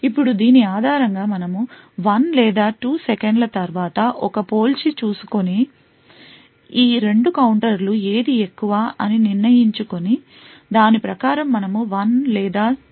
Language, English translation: Telugu, Now based on this we would make a comparison after say 1 or 2 seconds and determine which of these 2 counters is higher and according to that we would give output of 1 or 0